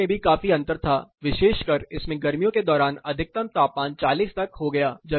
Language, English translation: Hindi, Temperatures were also considerably different this particular one the maximum temperature during summer went up to 40